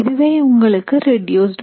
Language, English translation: Tamil, So this is your reduced mass